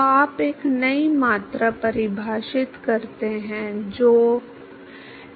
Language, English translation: Hindi, So, you define a new quantity, which is mu into x